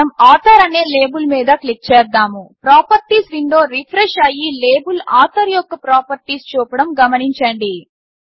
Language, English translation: Telugu, Now let us click on the label author, notice that the Properties window refreshes and shows the properties of label Author